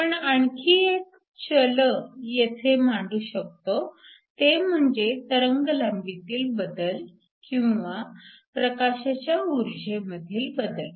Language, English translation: Marathi, Another variable we can introduce is to change the wavelength or the energy of the light